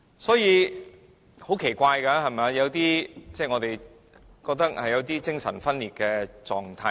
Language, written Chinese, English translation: Cantonese, 所以很奇怪，我們覺得出現了有點精神分裂的情況。, Therefore I have a very strange feeling . I think they have a split personality